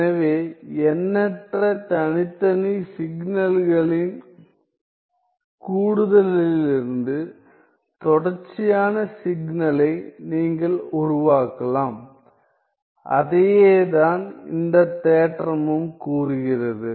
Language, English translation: Tamil, So, you can construct, you can construct a continuous signal out of the infinite sum of discrete signal and that is what the theorem says